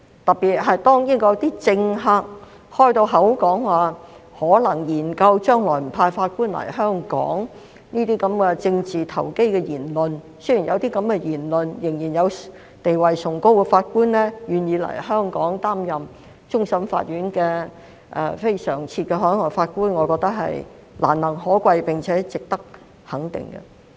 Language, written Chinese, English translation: Cantonese, 特別是，當英國某些政客表明可能會研究將來不派法官來港這類政治投機的言論時，仍然有地位崇高的法官願意來港擔任終審法院非常任普通法法官，我覺得是難能可貴，並且值得肯定。, In particular at a time when certain UK politicians have made politically opportunistic remarks about the possibility of not sending judges to Hong Kong I find it especially commendable and worthy of recognition that a judge with high status agreed to come to Hong Kong to serve as CLNPJ of CFA